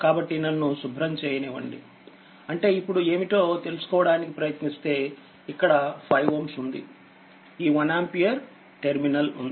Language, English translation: Telugu, So, just for your understanding I am somehow I am making it here say, this is your say 5 ohm, this is your one ampere 1 terminal 1